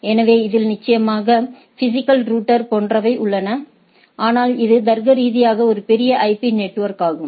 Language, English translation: Tamil, So, it is a definitely, there are physical router etcetera, but it is a logically a large IP network